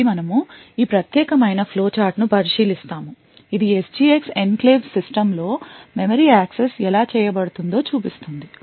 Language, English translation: Telugu, So, we look at this particular flow chart which shows how memory accesses are done in an SGX enclave system